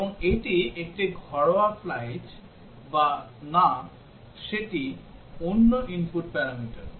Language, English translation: Bengali, And it is a domestic flight or not that is another input parameter